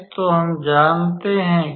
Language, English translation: Hindi, So, we know that